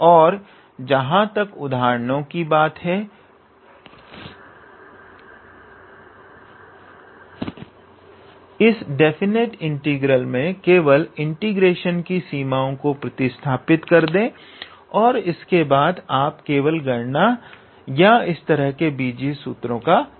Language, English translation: Hindi, And as far as the examples are concerned just substitute the how to say range of integration range of this definite integral and then you just calculate or play with these algebraic formulas